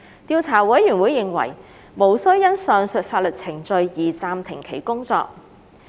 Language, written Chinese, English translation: Cantonese, 調查委員會認為無需因上述法律程序而暫停其工作。, The Investigation Committee considers it not necessary to put on hold its work in view of the above legal proceedings